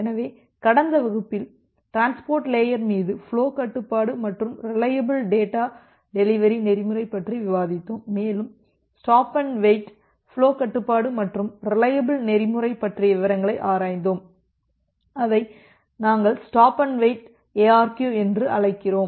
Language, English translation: Tamil, So, in the last class we have discussed about this flow control and reliable data delivery protocols over the transport layer and we have looked into the details of the stop and wait flow control and reliable protocol; which we call as the stop and wait ARQ